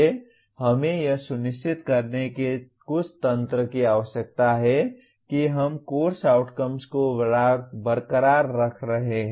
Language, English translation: Hindi, We need some mechanism of making sure that we are retaining the course outcomes